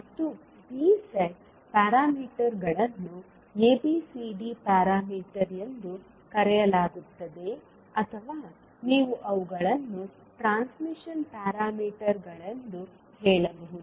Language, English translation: Kannada, And these sets of parameters are known as ABCD parameters or you can also say them as transmission parameters